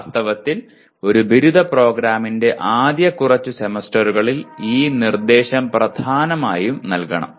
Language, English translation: Malayalam, In fact this instruction should be given dominantly in the first few semesters of a undergraduate program